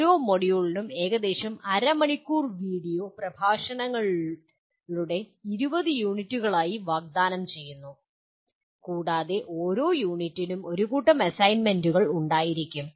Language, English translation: Malayalam, Each module is offered as 20 units of about half hour video lectures and each unit will have a set of assignments